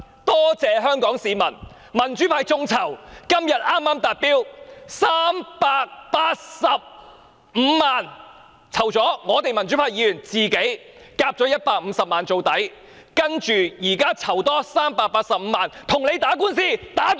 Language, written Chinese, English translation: Cantonese, 多謝香港市民，民主派的眾籌活動剛於今天達標，籌得385萬元，連同民主派議員自行科款150萬元，誓要將官司帶到終審法院為止。, Thanks to Hong Kong citizens the crowdfunding project launched by the pro - democracy camp has reached its target of raising a sum of 3.85 million today and together with a contribution of 1.5 million from pro - democracy Members we will pursue the matter to the utmost until a ruling is handed down by the Court of Final Appeal